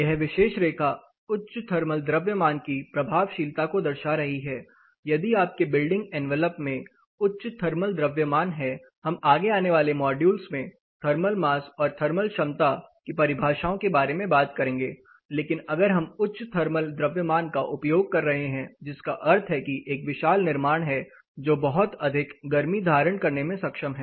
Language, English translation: Hindi, This particular line represents the effectiveness of high thermal mass, if you are building envelope has the high thermal mass we will talk about the definitions of thermal mass and capacity in the following modules, but if we are using high thermal mass which means it is a massive construction it is able to hold much of heat it is as a high heat capacity then the effectiveness this shown within this boundary